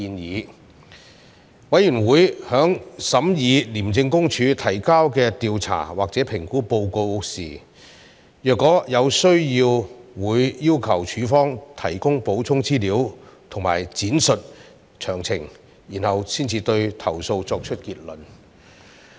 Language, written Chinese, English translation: Cantonese, 若有需要，委員會在審議廉政公署提交的調查或評估報告時會要求署方提供補充資料及闡述詳情，然後才對投訴作出結論。, When necessary the Committee may seek additional information and further details from ICAC in considering the investigation or assessment reports submitted by ICAC before drawing any conclusion on the complaints